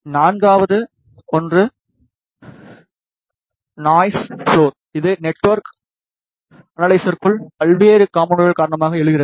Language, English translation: Tamil, Fourth one is the noise floor, which arises due to various components inside the network analyzer